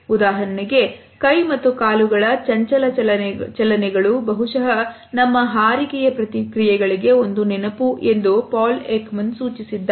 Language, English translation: Kannada, For example, Paul Ekman has suggested that restless movements of hands and feet are perhaps a throwback to our flight reactions